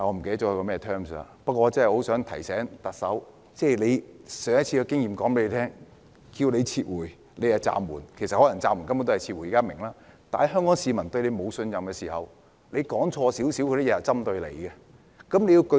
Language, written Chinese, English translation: Cantonese, 不過我很想提醒特首，上一次的經驗告訴她，大家要她"撤回"時她卻用"暫緩"，雖然現在大家明白暫緩根本是撤回，但當香港市民對她失去信任時，她說錯少許也會被針對。, However I would like to remind the Chief Executive of her previous experience in which she suspended the bill when she was asked to withdraw the bill . Although we now understand that suspension is actually withdrawal as Hong Kong people have lost their trust in her she will be targeted if she makes some mistakes